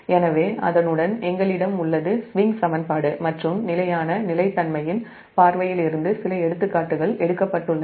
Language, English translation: Tamil, so with that we have taken few examples from the point of view of swing equation as well as steady state stability